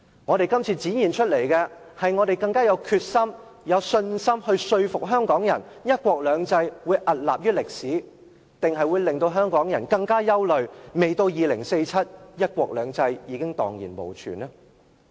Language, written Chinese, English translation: Cantonese, 我們這次展現的，究竟是我們更具決心及信心說服香港人，"一國兩制"會屹立於歷史，還是會令香港人更憂慮，未到2047年，"一國兩制"已蕩然無存呢？, With the current debate are we going to become more resolved and confident in convincing Hong Kong people that one country two systems will stand tall in history? . Or will Hong Kong people worry all the more about one country two systems fearing its destruction even before 2047?